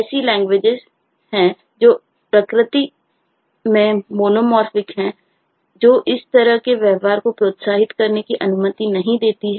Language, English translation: Hindi, there are eh languages which are monomorphic in nature, which eh does not allow such behavior to be eh encouraged